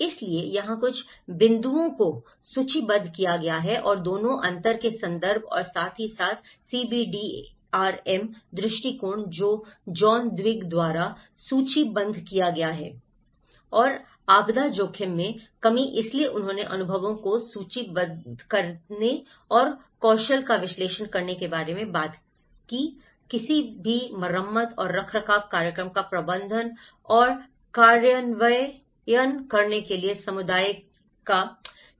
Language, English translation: Hindi, So, here one is the few points which has been listed and both the references of mind the gap and as well as the CBDRM approach which was listed by John Twigg, and disaster risk reduction, so they talked about listing the experiences and analysing the skills of the community to manage and implement any repair and maintenance program